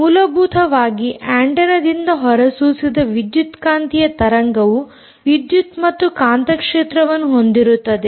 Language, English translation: Kannada, basically, an electromagnetic wave emitted by the antenna consists of what